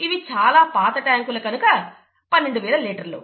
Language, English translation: Telugu, These were kind of old tankers, twelve thousand litres